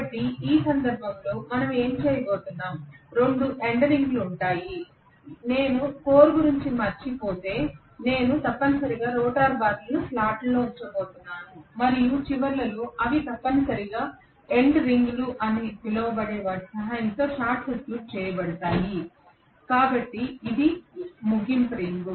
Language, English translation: Telugu, So what we are going to have in this case is two end rings will be there, if I forget about the core I am going to have essentially the rotor bars being you know in the slot and at the ends they are going to be essentially short circuited with the help of something called end rings, so this is the end ring